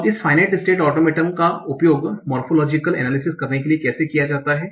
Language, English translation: Hindi, So now, how are these Finer's Automatin used for doing the morphological analysis